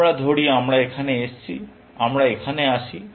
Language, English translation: Bengali, Let us say we come here; we come here